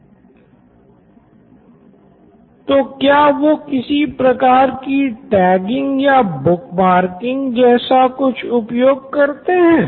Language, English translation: Hindi, And do they actually have some kind of tagging or bookmarking kind of thing